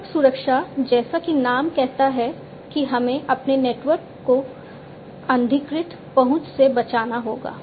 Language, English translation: Hindi, Network security as the name says we have to protect our network from unauthorized access